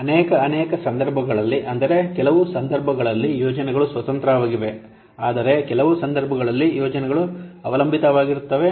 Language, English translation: Kannada, Many cases, in some cases, the projects are independent, but in some cases the projects are dependent